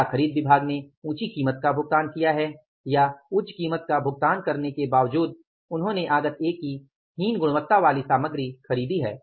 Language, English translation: Hindi, Whether the purchase department has purchased paid the higher price or despite paying the higher price they have purchased inferior quantity quality of the material of the input A